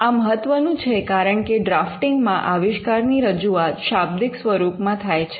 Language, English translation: Gujarati, This is important because, in drafting you are representing the invention in a textual form